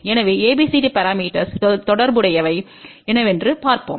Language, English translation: Tamil, So, let us see what ABCD parameters are related to